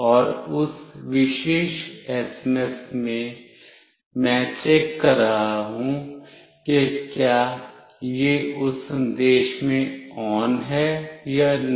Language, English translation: Hindi, And in that particular SMS, I am checking for whether it has got “ON” in that message or not